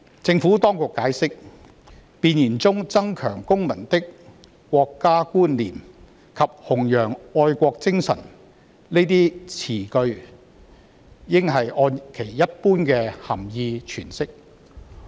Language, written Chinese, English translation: Cantonese, 政府當局解釋，弁言中"增強公民的國家觀念"及"弘揚愛國精神"等語句應按其一般的涵義詮釋。, The Administration has explained that the meaning of the expressions to enhance citizen awareness of the Peoples Republic of China and to promote patriotism should be interpreted by their ordinary meaning